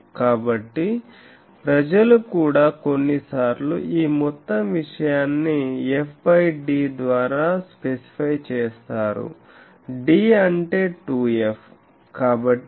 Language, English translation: Telugu, So, this thing people also sometimes this whole thing is specified by specifying the f by d, d means 2 f